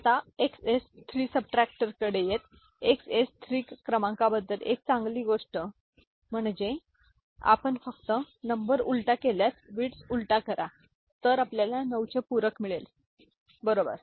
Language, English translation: Marathi, Now, coming to XS 3 subtractor, one good thing about XS 3 number is that if you just invert the number, invert the bits then you get 9’s complement, right